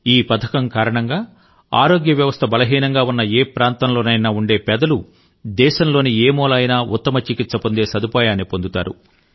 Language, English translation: Telugu, Due to this scheme, the underprivileged in any area where the system of health is weak are able to seek the best medical treatment in any corner of the country